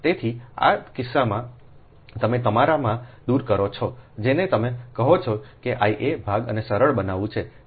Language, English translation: Gujarati, so in this case you eliminate your, what you call ah, that i a part, and just simplify